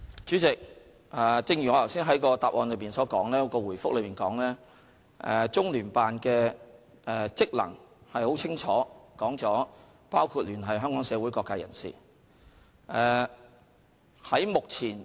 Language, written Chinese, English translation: Cantonese, 主席，正如我剛才在主體答覆所說，中聯辦的職能很清楚，包括聯繫香港社會各界人士。, President as I point out in the main reply the functions of CPGLO are clear and one of its functions is to liaise with various social sectors in Hong Kong